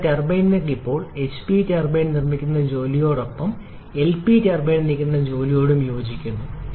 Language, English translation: Malayalam, Your turbine work now corresponds to the work produced by the HP turbine plus the work produced by the LP turbine